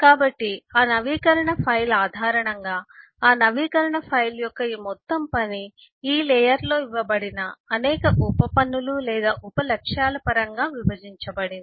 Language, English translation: Telugu, so, based on that, eh, the update file, this whole task of update file is divided in terms of a number of subtasks or sub goals which are given in this layer